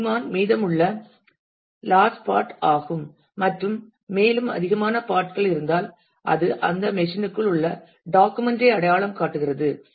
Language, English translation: Tamil, And the last part which is remaining sigmon and if there are more and more and more parts, then it identifies the document inside within that machine